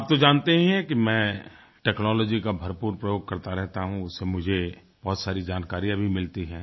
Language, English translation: Hindi, You are aware that I use a lot of technology which provides me lots of information